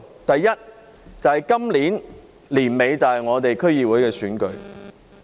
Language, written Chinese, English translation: Cantonese, 第一，今年年底便是區議會選舉。, First the District Council election will be held at the end of this year